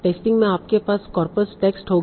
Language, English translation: Hindi, Test time you will have the corpus text